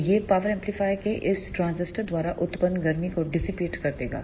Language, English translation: Hindi, So, it will dissipate the heat generated by this transistor of power amplifier